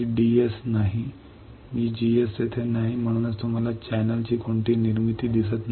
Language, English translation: Marathi, VDS is not there, VGS is not there that is why you cannot see any formation of channel